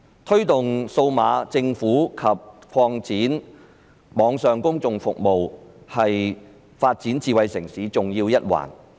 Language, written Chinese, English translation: Cantonese, 推動數碼政府及擴展網上公共服務是發展智慧城市的重要一環。, Promoting digital government and expanding online public services are crucial to the development of smart city